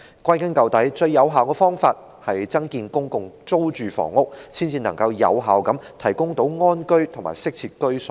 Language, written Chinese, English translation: Cantonese, 歸根究底，最有效的方法是增建公共租住房屋，才能夠有效地為香港人提供安居及適切的居所。, In the final analysis the most effective way is to increase the production of PRH . Only in this way can we effectively provide Hongkongers with adequate housing where they can live in peace